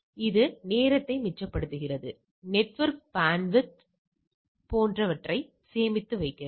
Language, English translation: Tamil, So, it saves time saves network bandwidth and so and so forth